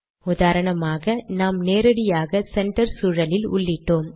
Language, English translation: Tamil, For example, we put it directly inside the center environment